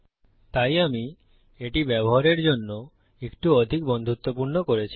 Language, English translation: Bengali, So, Ive made that a bit more user friendly